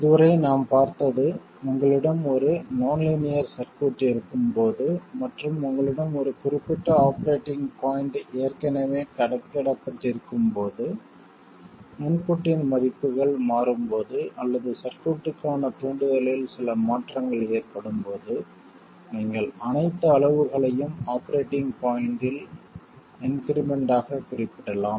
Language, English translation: Tamil, So, far we have seen that when you have a nonlinear circuit and you have a certain operating point already computed, when the values of the input change or when there is some change in the stimulus to the circuit, you can represent all quantities as increments over the operating point